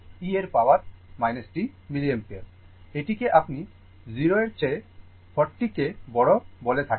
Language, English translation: Bengali, This is your what you call 40 greater than 0